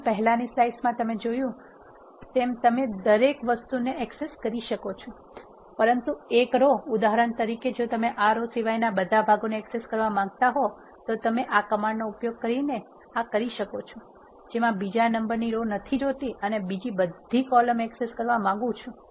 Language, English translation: Gujarati, Similar to the one which you have seen in the earlier slide you can also access everything, but one row all you need to do is for example, if you want to access all the parts of a except this row you can do so by using this command I want to take the second row off and I want to have all the columns